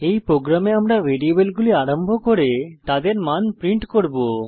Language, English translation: Bengali, In this program we will initialize the variables and print their values